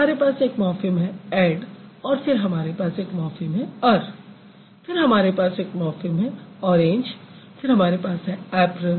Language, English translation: Hindi, So, we have a morphem ad, then we have the morphem ur, then we have the morphem orange, then we have apron, then we also have a morphine,